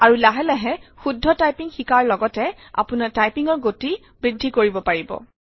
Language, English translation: Assamese, And gradually increase your typing speed and along with it your accuracy